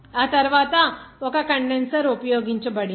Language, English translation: Telugu, After that, one condenser has been used